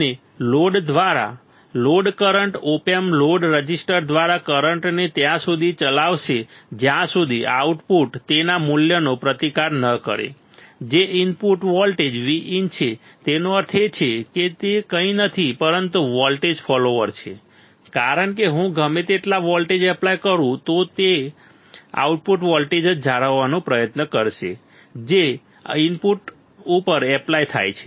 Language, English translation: Gujarati, And the load current through the load the op amp will drive the current through the load register right until the output resists its value which is input voltage V in; that means, it is nothing, but it is nothing, but a voltage follower is nothing, but a voltage follower right because whatever voltage, I apply the output will try to maintain the same voltage which is applied at the input